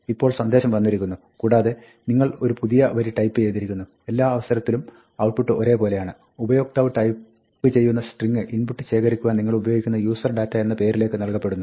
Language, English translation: Malayalam, Now, the message comes and then, you type on a new line and in all cases, the outcome is the same; userdata, the name to which you are reading the input, becomes set to the string that is typed in by the user